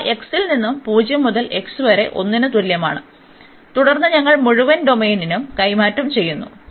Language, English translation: Malayalam, They are going from x is equal to 0 to x is equal to 1 and then we are swapping the whole domain